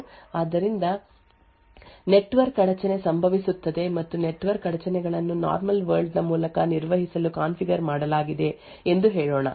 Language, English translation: Kannada, So, for example we have privileged code over here could be at Android OS so let us say for example that a network interrupt occurs and a network interrupts are configured to be handle by the normal world